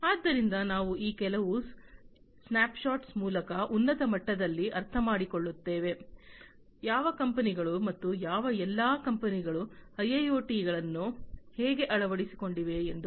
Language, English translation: Kannada, So, you know we will just go through some of these snapshots to understand at a very high level, how which all companies and which all companies have adopted the IIoT, and you know which companies are in the process and so on